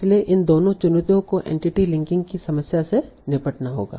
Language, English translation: Hindi, So both of these challenges are to be handled in the problem of entity linking